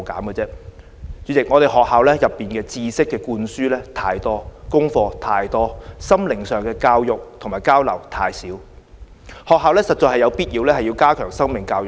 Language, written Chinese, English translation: Cantonese, 代理主席，學校內知識灌輸太多，功課太多，心靈上的教育和交流太少，學校實在有必要加強生命教育。, Deputy President in schools there are too much knowledge to pass on and too much homework to hand in but too little heart - to - heart education and communication to take place